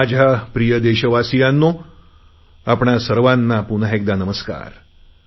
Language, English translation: Marathi, My dear countrymen, Namaskar to all of you once again